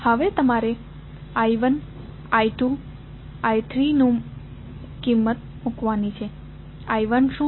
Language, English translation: Gujarati, Now, you have to put the value of I 1, I 2 and I 3, what is I 1